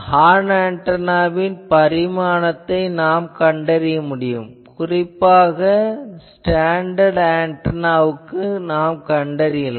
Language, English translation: Tamil, So, measuring the dimension of the horn you can always find so these are mainly standard antenna